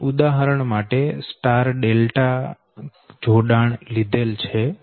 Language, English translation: Gujarati, this is: for example, you take star delta connection